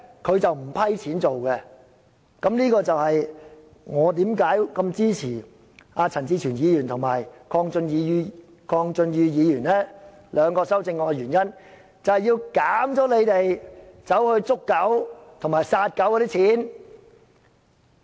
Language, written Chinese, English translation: Cantonese, 這正正解釋了為何我支持陳志全議員及鄺俊宇議員兩項修正案，目的是削減他們捕捉及殺死狗隻的撥款。, This precisely explains why I support the two amendments of Mr CHAN Chi - chuen and Mr KWONG Chun - yu with the aim of cutting the funding for them to catch and kill dogs